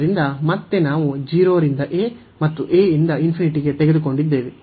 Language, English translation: Kannada, So, again we have taken 0 to a, and a to infinity